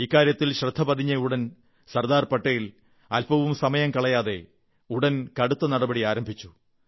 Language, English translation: Malayalam, When Sardar Patel was informed of this, he wasted no time in initiating stern action